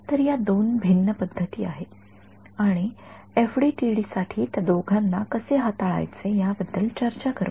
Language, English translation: Marathi, So, these are two different approaches and we will talk about how to handle both of them for FDTD ok